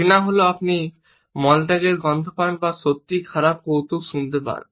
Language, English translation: Bengali, Number 7 is disgust; disgust is when you smell poop or hear a really bad joke